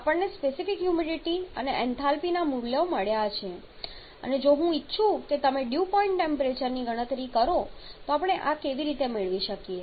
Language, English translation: Gujarati, And also we have got the values of the specific humidity and enthalpy and if I want you to calculate the Dew Point temperature how we can get this